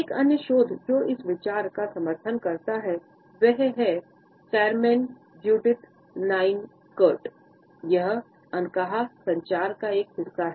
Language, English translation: Hindi, Another research which also supports this idea is by Carmen Judith Nine Curt, in nonverbal communication